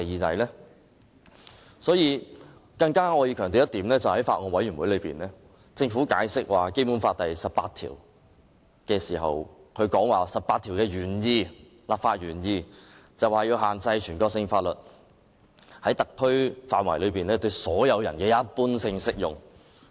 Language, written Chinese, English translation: Cantonese, 我想強調，政府向法案委員會解釋《基本法》第十八條時表示，這項條文的立法原意是要限制全國性法律在特區範圍內對所有人的一般性適用。, Let me reiterate when the Government explained Article 18 of the Basic Law to the Bills Committee it said that the legislative intent of this provision was to restrict the general application of national laws to all members of the public in HKSAR